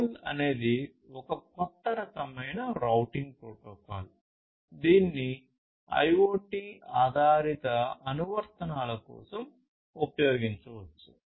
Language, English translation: Telugu, So, ROLL is a new kind of routing protocol that can be used that can be used for IoT based applications